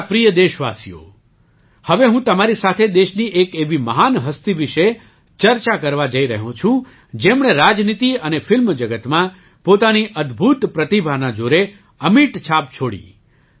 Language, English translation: Gujarati, My dear countrymen, I am now going to discuss with you about a great personality of the country who left an indelible mark through the the strength of his amazing talent in politics and the film industry